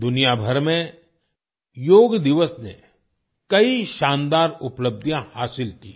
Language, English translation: Hindi, Yoga Day has attained many great achievements all over the world